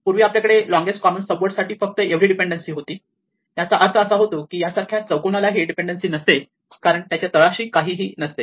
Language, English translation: Marathi, So, earlier we had for longest common subword we had only this dependency this mean that even a square like this had no dependencies because there is nothing to its bottom right